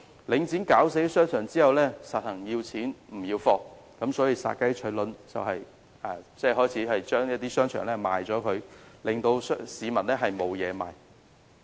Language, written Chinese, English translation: Cantonese, 領展"搞死"商場後，乾脆要錢不要貨，以殺雞取卵的方法開始出售商場，致令市民無法購物。, When Link REIT has caused the death of these shopping arcades it simply goes for the money instead of keeping the assets like killing the chicken to get the eggs and starts selling these shopping arcades